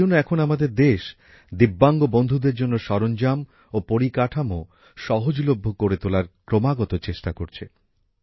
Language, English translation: Bengali, That is why, the country is constantly making efforts to make the resources and infrastructure accessible to the differentlyabled